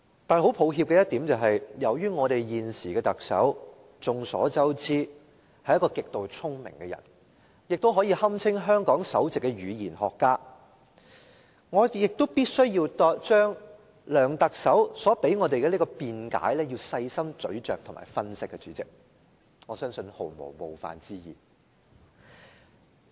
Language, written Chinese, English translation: Cantonese, 但是，很抱歉的一點是，眾所周知，由於我們現時的特首是一個極度聰明的人，亦可以堪稱香港的首席語言學家，我必須將梁特首所提供給我們的辯解細心咀嚼和分析，代理主席，我相信這毫無冒犯之意。, But I am sorry to point out that as everyone knows our Chief Executive is a very smart person . He can be regarded as the top linguist in Hong Kong . Deputy President with due respect I have to carefully think over and analyse the explanation given to us by the Chief Executive